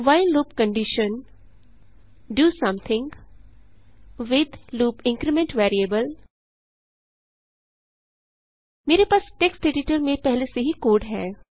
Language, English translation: Hindi, while loop condition { do something with loop increment variable } I already have the code in a text editor